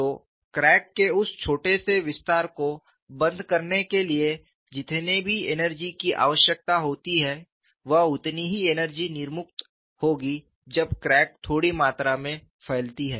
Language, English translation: Hindi, So, whatever the energy required to close that small extension of the crack would be the energy released when the crack extends by a small amount